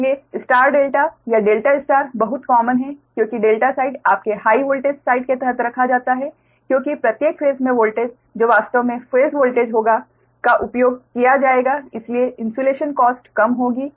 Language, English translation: Hindi, so for star delta or delta star are very common because delta star kept under your high voltage side, because each phase that voltage actually will be the phase voltage will be used